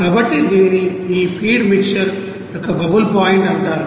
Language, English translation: Telugu, So, it is called bubble point of this feed mixer